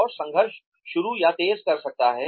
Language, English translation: Hindi, And, can initiate or intensify conflict